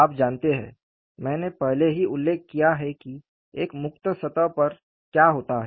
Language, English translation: Hindi, You know, I have already mentioned what happens on a free surface